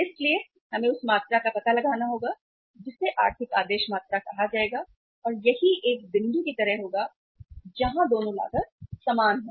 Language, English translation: Hindi, So we will have to find out the quantity that will be called as a economic order quantity and that will be something like a point where both the cost are equal